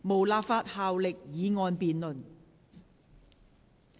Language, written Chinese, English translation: Cantonese, 無立法效力的議案辯論。, Debates on motions with no legislative effect